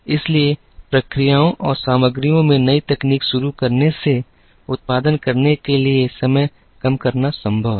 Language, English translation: Hindi, So, by introducing new technology in processes and materials, it is now possible to bring down the time to produce